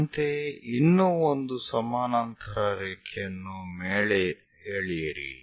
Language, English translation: Kannada, Similarly, draw one more parallel line all the way up